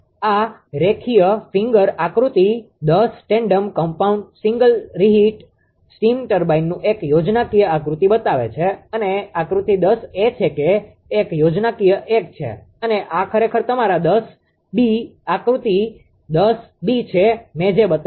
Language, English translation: Gujarati, That figure 10, I shows a schematically diagram of tandem compound single reheat steam turbine and, figure this is actually figure ten a that is the schematic 1 and this is actually your figure 10 b, figure 10 b whatever I showed